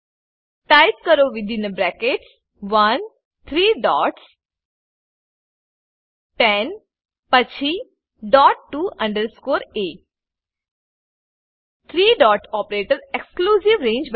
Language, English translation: Gujarati, Type Within brackets 1 three dots 10 then dot to underscore a Three dot operator creates an exclusive range